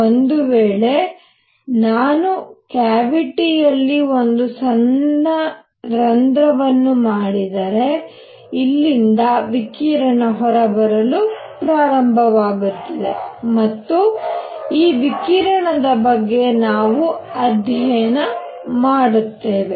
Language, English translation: Kannada, And if I make a small hole in the cavity radiation starts coming out of here and it is this radiation that we study